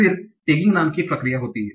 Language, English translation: Hindi, Then there is a process called tagging